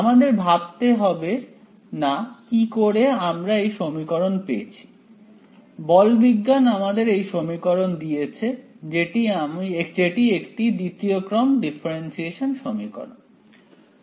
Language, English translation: Bengali, So, we need not worry how we got this equation right; mechanics has given this equation to us which is the second order differential equation right